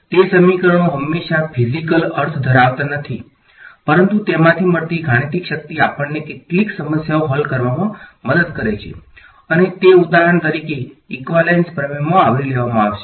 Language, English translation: Gujarati, Those equations may not always have a physical meaning, but the mathematical power that we get from it helps us to solve some problems and that will be covered in for example, in the equivalence theorems right